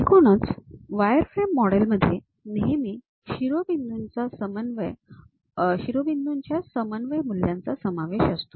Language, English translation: Marathi, On overall, the wireframe model always consists of coordinate values of vertices